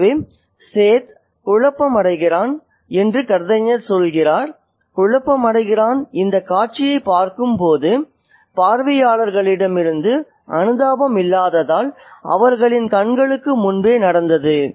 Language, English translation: Tamil, So, the narrator says that the set is perplexed, is confused, is puzzled by the lack of sympathy from the onlookers who are watching this scene happen before their eyes